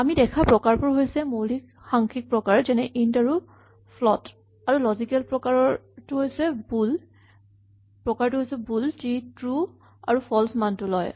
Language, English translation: Assamese, The types we have seen are the basic numeric types int and float, and the logical type bool which takes values true or false